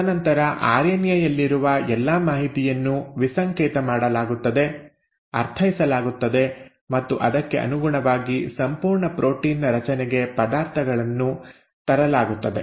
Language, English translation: Kannada, And then, all the information which is present in the RNA is then decoded, is understood and accordingly the ingredients are brought in for the formation of a complete protein